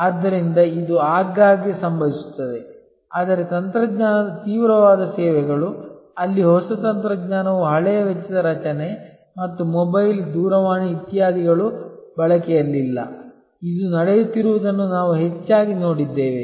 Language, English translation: Kannada, So, it happens very often in say, but technology intensive services, where a new technology obsolete the old cost structure and mobile, telephony etc, we have often seen this is happening